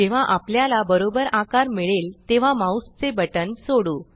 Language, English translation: Marathi, When we get the right size, let us release the mouse button